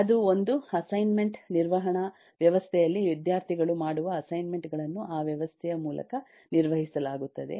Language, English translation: Kannada, that’s an assignment management system where the assignments that students do are managed through that system